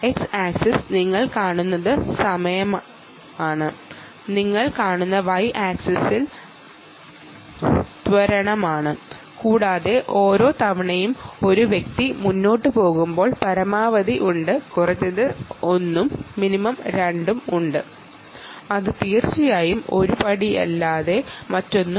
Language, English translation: Malayalam, ok, what you see on the x axis is time, the y axis, you see, is the acceleration and, ah, you see that each time an individual takes a step forward, there is a maximum, there is a minimum one and a minimum two, and that indeed is nothing but a step and you can see max, min, max, min, max, min and all that essentially are steps